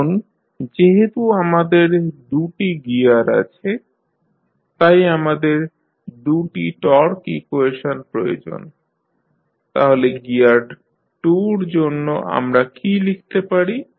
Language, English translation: Bengali, Now, since we have 2 gears, so we need 2 torque equations, so for gear 2 what we can write